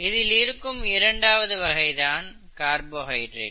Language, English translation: Tamil, And what is a carbohydrate